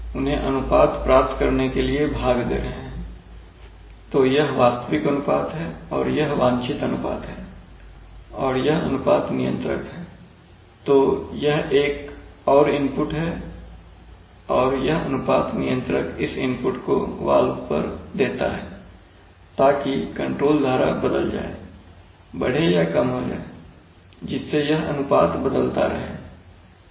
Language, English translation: Hindi, So, and this is the ratio controller so this is another input, this is another input and this ratio controller gives this input on the valve, so that the control stream is changed, increased or decreased such that this ratio will keep changing